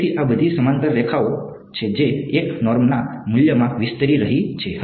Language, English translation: Gujarati, So, these are all parallel lines that are expanding in the value of the 1 norm